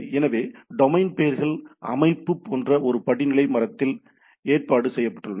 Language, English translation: Tamil, So, domain names are arranged in a hierarchical tree like structure